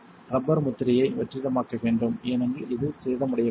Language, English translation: Tamil, Not vacuum the rubber seal because this could cause it to become damaged